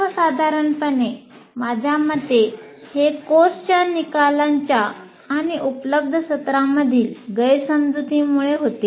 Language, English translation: Marathi, So one is mismatch between the course outcomes and the available sessions